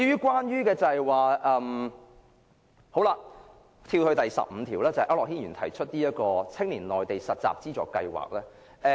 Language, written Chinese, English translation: Cantonese, 讓我跳至由區諾軒議員提出的修正案編號 15， 有關"青年內地實習資助計劃"。, Let me jump to Amendment No . 15 proposed by Mr AU Nok - hin concerning the Funding Scheme for Youth Internship in the Mainland